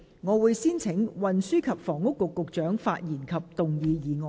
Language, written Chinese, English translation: Cantonese, 我請運輸及房屋局局長發言及動議議案。, I call upon the Secretary for Transport and Housing to speak and move the motion